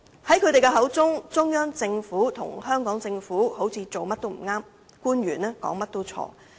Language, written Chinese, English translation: Cantonese, 在他們的口中，中央政府和香港政府好像做甚麼也不對，官員說甚麼也是錯。, According to the remarks they made the Central Government and the Hong Kong Government are always wrong in their deeds and officials are always wrong in their words